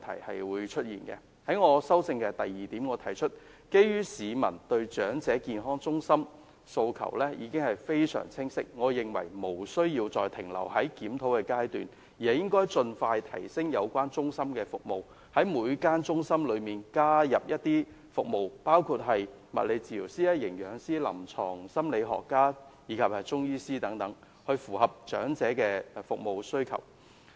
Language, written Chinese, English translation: Cantonese, 我的修正案的第二部分指出，基於市民對長者健康中心的訴求已經非常清晰，我認為無須再停留在檢討階段，應該盡快提升有關中心的服務，在每間中心加入包括物理治療師、營養師、臨床心理學家及中醫等服務，以符合長者的服務需求。, I have pointed out in part 2 of my amendment that as the aspiration of elderly people towards elderly health centres is very clear I consider that the Government should move on from the review stage . The services of various elderly health centres should be enhanced so that each elderly health centre should have its resident physiotherapist dietician clinical psychologist Chinese medicine practitioner and so on to meet the health care needs of different elderly people